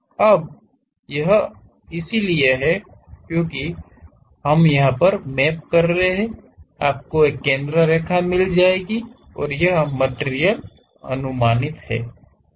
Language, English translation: Hindi, Now this one maps on to that; so, you will be having a center line and this material is projected